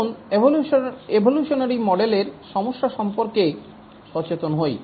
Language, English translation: Bengali, Let's look at the evolutionary model